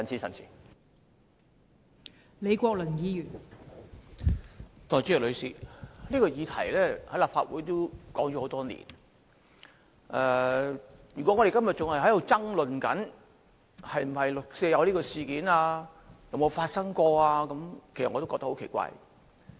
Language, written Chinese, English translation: Cantonese, 代理主席，此議題在立法會討論多年，如果我們今天還在爭論六四事件曾否發生，我會覺得很奇怪。, Deputy President this question has been discussed in the Legislative Council for many years . I would find it strange if we were still arguing today whether the 4 June incident took place or not